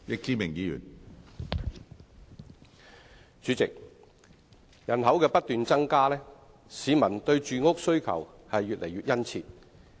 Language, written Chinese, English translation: Cantonese, 主席，人口不斷增加，市民對住屋的需求越來越殷切。, President as our population continues to rise the public demand for housing is becoming keener